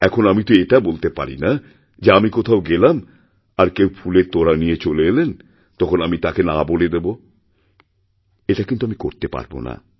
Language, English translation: Bengali, Now, I cannot say that if I go somewhere and somebody brings a bouquet I will refuse it